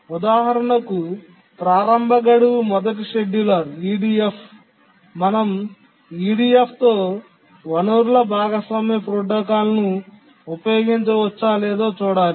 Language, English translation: Telugu, For example, the earliest deadline first scheduler, can we use a resource sharing protocol with EDF